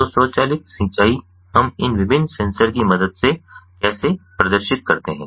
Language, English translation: Hindi, so, automated irrigation, how do we perform with the help of this, these different sensors